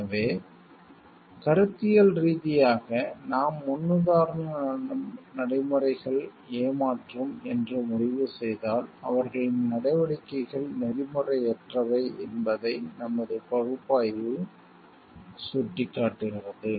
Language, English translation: Tamil, So, if conceptually we decide that paradigms practices were deceptive, then our analysis indicates that their actions were unethical